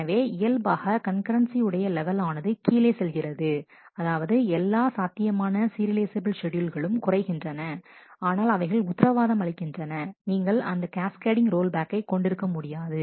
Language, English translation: Tamil, So, naturally the level of concurrency will go down that is all possible serializable schedules will be smaller, but this guarantees that you will not have a cascading roll back